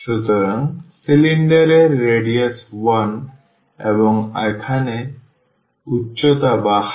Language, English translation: Bengali, So, the radius of the cylinder is 1 and the height here is from 2 to 3